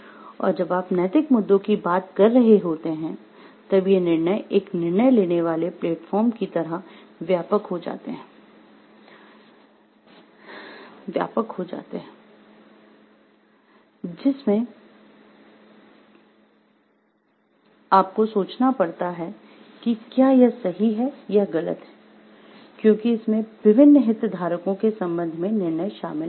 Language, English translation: Hindi, And when you are talking of the ethical issues, these judgment gets a widened like platform of thinking the judgment that you are giving whether it is right or wrong, with respect to the different stakeholders that are involved in the decision